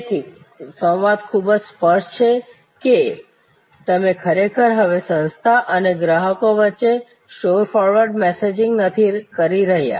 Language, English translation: Gujarati, So, dialogue is very clear that you are not actually now doing store forward messaging between the organization and the customer